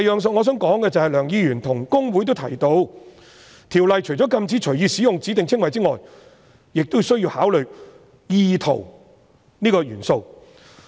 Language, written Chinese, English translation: Cantonese, 此外，梁議員與公會均提到，《條例》除了禁止隨意使用指定稱謂外，亦需要考慮"意圖"這個元素。, Besides both Mr LEUNG and HKICPA mentioned that apart from prohibiting the free use of specified descriptions the Ordinance also provides that the element of intention must be taken into account